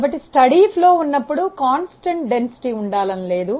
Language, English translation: Telugu, So, when it is steady flow it need not be constant density